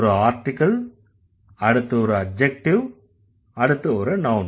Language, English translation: Tamil, There would be an article, there would be an adjective, there would be a noun